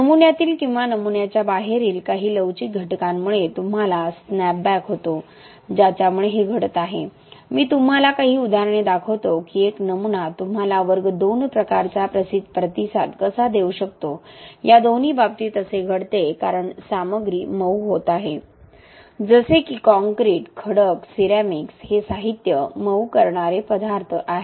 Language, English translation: Marathi, A class II responses is where you have snapback because of some elastic component in the specimen or outside the specimen which is causing this, I will show you some examples of how a specimen can also give you class II type of response, both these cases it happens because the material is softening, like concrete, rocks, ceramics these are materials which are softening materials